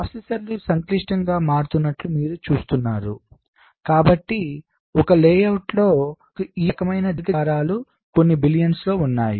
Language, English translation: Telugu, you see, as the processors are becoming complex, so so, so on a layout we are having billions of this kind of rectangular shapes